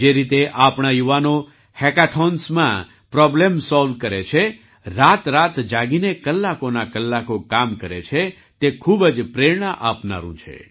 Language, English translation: Gujarati, The way our youth solve problems in hackathons, stay awake all night and work for hours, is very inspiring